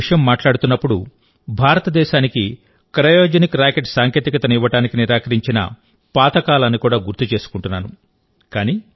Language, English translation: Telugu, While talking to you, I also remember those old days, when India was denied the Cryogenic Rocket Technology